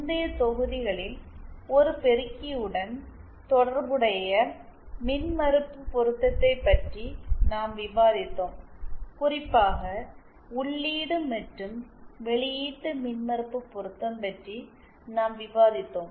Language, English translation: Tamil, In the previous modules we were discussing about impedance matching as related to an amplifier especially the input and Output impedance matching